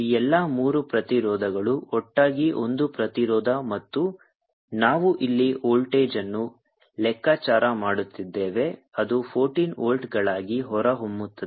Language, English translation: Kannada, all these three resistance to together to be one resistance and we have calculating a voltage here which comes out to be fourteen volts outside the field